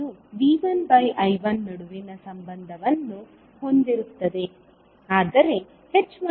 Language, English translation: Kannada, It will be having the relationship between V1 I1, while h12 will have a relationship between V1 and V2